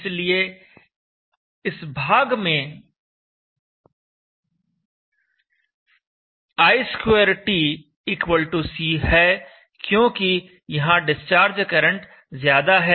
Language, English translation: Hindi, So in this region you have i2t =c for the discharges current which are larger